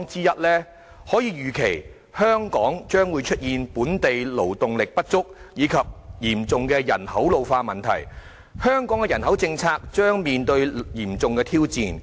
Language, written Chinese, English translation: Cantonese, 我們可以預期，香港將會出現本地勞動力不足，以及嚴重的人口老化問題，香港的人口政策將面臨重大挑戰。, We can expect to see the emergence of a shortage of local manpower and a serious problem of population ageing in Hong Kong posing an enormous challenge to our population policy